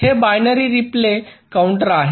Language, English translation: Marathi, this is binary counter